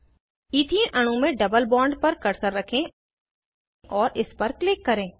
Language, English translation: Hindi, Place the cursor on the double bond in the Ethene molecule and click on it